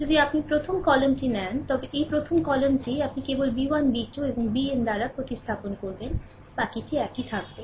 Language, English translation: Bengali, So, ah how will do is that this this is the first ah if you take the first column, this first column only you replace by b 1 b 2 and bn, rest will remain same